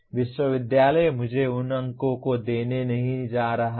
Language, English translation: Hindi, The university is not going to give me those marks